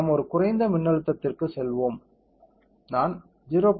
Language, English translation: Tamil, Let us go to a lower voltage, let us say I give 0